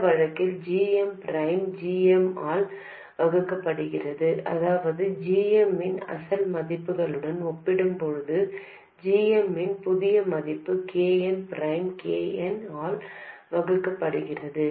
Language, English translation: Tamil, Then in this case GM divided by GM that is the new value of GM compared to the original value of GM is just KM prime divided by KN